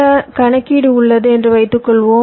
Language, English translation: Tamil, suppose i have some computation that i want to perform